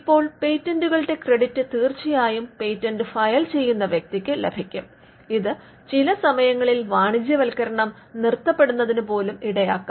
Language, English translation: Malayalam, Now, the credit for the patents will definitely go to the person who files the patent, and this could also eventually it could stall commercialization itself